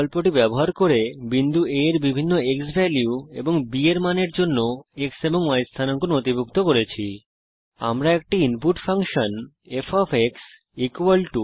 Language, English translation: Bengali, used the Record to Spreadsheet option to record the x and y coordinates of point A, for different xValue and b values